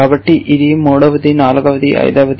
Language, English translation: Telugu, So, this is the third one, the fourth one, and the fifth one